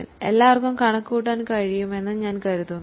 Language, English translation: Malayalam, I think very simple, everybody is able to calculate